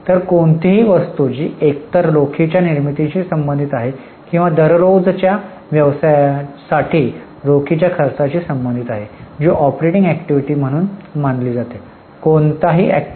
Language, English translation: Marathi, So, any item which is related to either generation of cash or expenditure of cash on day to day business which is considered as operating activity